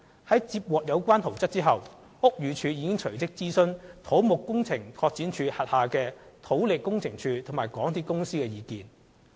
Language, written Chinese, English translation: Cantonese, 而接獲有關圖則後，屋宇署隨即諮詢土木工程拓展署轄下的土力工程處及港鐵公司的意見。, Upon receipt of the plan BD immediately consulted the Geotechnical Engineer Office under the Civil Engineering and Development Department and MTRCL